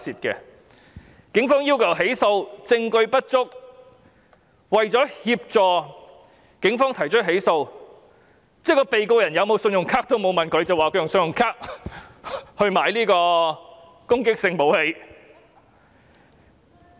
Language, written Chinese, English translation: Cantonese, 警方要求起訴，證據不足，為了協助警方起訴，連被告是否有信用卡都沒有問，便指他用信用卡購買攻擊性武器。, The Police insisted on initiating a prosecution but the evidence was insufficient . In order to help the Police initiate a prosecution the Department of Justice accused the defendant of using credit card to purchase offensive weapons without even asking him whether he had one